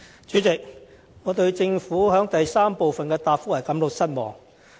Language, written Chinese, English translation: Cantonese, 主席，我對政府主體答覆的第三部分感到失望。, President I am disappointed by part 3 of the Governments main reply